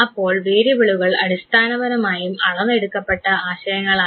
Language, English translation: Malayalam, So, variables are basically those concepts which are quantified